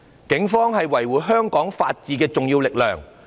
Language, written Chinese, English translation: Cantonese, 警方是維護香港法治的重要力量。, The Police are an important force in maintaining the rule of law in Hong Kong